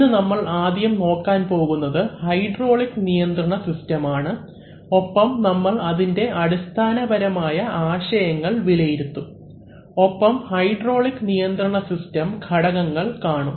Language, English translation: Malayalam, Today we are going to take our first look at hydraulic control systems and we will review some elementary basic concepts and then we will first look at the components which make a hydraulic control systems